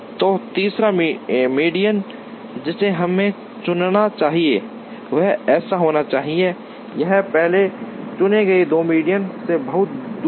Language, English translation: Hindi, So, the third median that we should choose should be such that, it is far away from the first two chosen medians